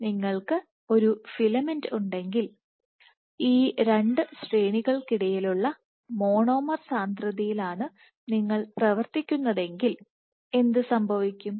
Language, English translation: Malayalam, So, if you have a filament and you are operating at the monomer concentration which is in between these two ranges what will happen